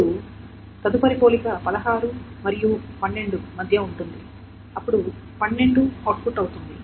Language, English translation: Telugu, Now the next comparison will be between 16 and 12 and 12 will be output